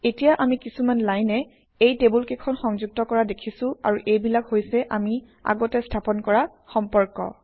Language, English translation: Assamese, Now we see lines linking these tables and these are the relationships that we had established earlier